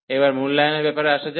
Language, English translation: Bengali, Now, coming to the evaluation